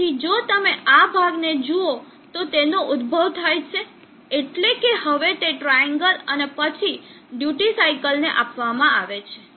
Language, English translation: Gujarati, So if you look at this portion it is a rising up means now that is given to a triangle and then to the duty cycle